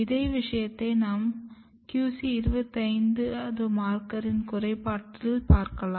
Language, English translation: Tamil, Same thing you can look by lack of the QC 25 markers